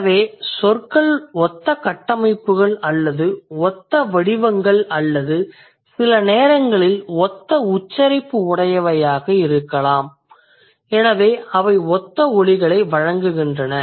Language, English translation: Tamil, So the words have similar structures or similar forms or similar pronunciation sometimes or similar sounds